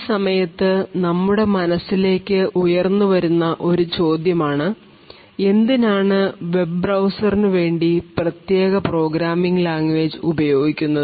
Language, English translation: Malayalam, One question that actually comes to our mind at this particular point of time is why do we have a special programming language for web browsers